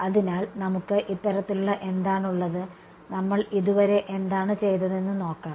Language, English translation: Malayalam, So, what have we this sort of let us look at what we have done so far